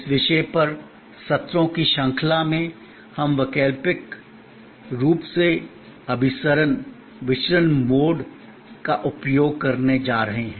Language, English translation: Hindi, In this series of sessions on this topic, we are going to use alternately convergent, divergent mode